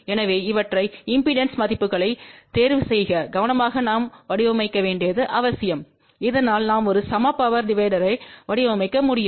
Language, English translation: Tamil, So, it is required that we design these things properly choose the impedance values carefully , so that we can design a equal power divider